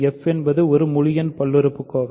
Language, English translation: Tamil, c is a; f is an integer polynomial